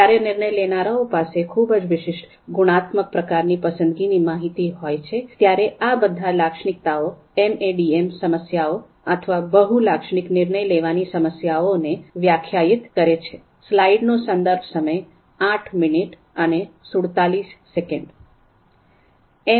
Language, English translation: Gujarati, Discrete preference information: So when decision makers have very discrete qualitative kind of preference information, then all these characteristics typically define MADM MADM problems, multi attribute decision making problems